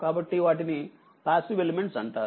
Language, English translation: Telugu, So, that is why they are passive elements right